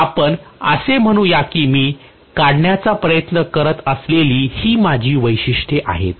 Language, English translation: Marathi, So let us say this is my characteristics that I am trying to draw